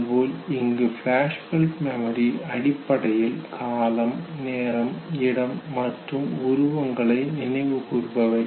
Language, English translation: Tamil, In flashbulb memory it is basically a recall of location, date, time and imagery